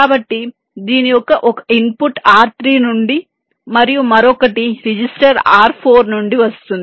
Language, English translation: Telugu, so one input of this can come from r three and the other one come come from another register, r four